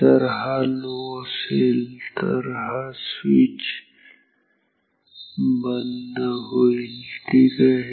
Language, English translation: Marathi, If this is low then this switch will be off ok